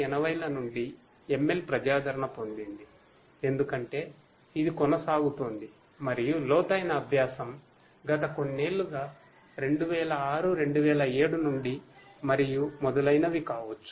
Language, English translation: Telugu, ML has been popular since the 1980’s, it continues to be and deep learning, since last few years may be 2006, 2007 onwards and so on